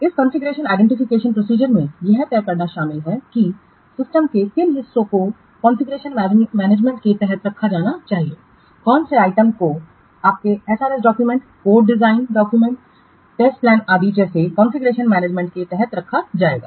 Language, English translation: Hindi, In this process configuration identification, it involves deciding which parts of the system should be kept under configuration management, which items will be kept under VATTA configuration management such as your SRS document, code, design documents, test plans, etc